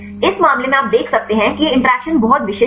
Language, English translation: Hindi, This case you can see there is these interactions are very specific